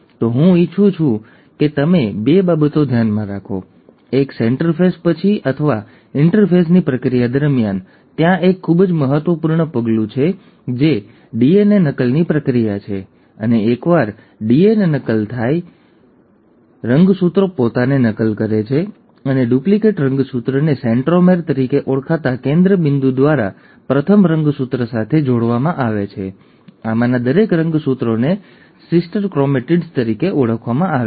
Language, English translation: Gujarati, So two things I want you to bear in mind; one, that after interphase, or during the process of interphase, there is a very important step which happens which is the process of DNA replication, and once the DNA replication has taken place, the chromosome duplicates itself and the duplicated chromosome is attached with the first one through a center point called as the centromere, and each of these chromosomes are called as the sister chromatids